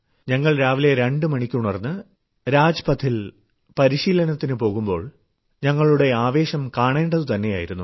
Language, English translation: Malayalam, When We used to get up at 2 in the morning to go and practice on Rajpath, the enthusiasm in us was worth seeing